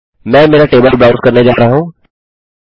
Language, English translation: Hindi, I am going to browse our table and delete this value